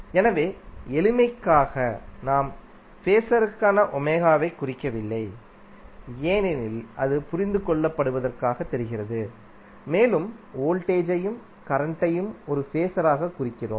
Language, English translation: Tamil, So, for simplicity what we say, we do not represent omega for the phaser because that is seems to be understood and we simply represent voltage and current as a phaser